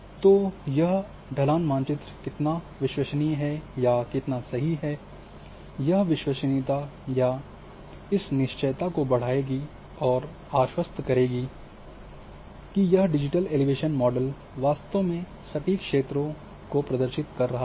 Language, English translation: Hindi, So, how accurate how reliable that slope map again this reliability or this confidence will combines you are assured that your digital elevation model is really truly representing the real terrain conditions